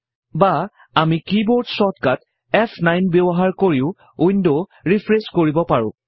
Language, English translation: Assamese, Or we can use the keyboard shortcut F9 to refresh the window